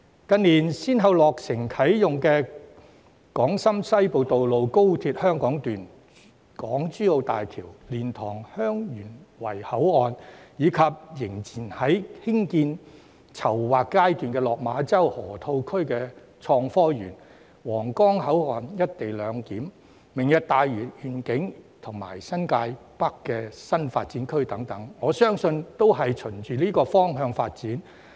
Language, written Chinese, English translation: Cantonese, 近年先後落成啟用的港深西部通道、高鐵香港段、港珠澳大橋、蓮塘/香園圍口岸，以及仍處於興建和籌劃階段的落馬洲河套地區創科園、皇崗口岸"一地兩檢"、"明日大嶼願景"及新界北新發展區等，我相信都是循這個方向發展。, Regarding the Hong Kong - Shenzhen Western Corridor the Hong Kong section of the Guangzhou - Shenzhen - Hong Kong Express Rail Link the Hong Kong - Zhuhai - Macao Bridge and the LiantangHeung Yuen Wai Boundary Control Point which have been successively commissioned in recent years as well as the Hong Kong - Shenzhen Innovation and Technology Park in the Lok Ma Chau Loop the co - location arrangement at the Huanggang Port the Lantau Tomorrow Vision and the New Territories North new development area which are either under construction or planning I believe all of them develop towards the same direction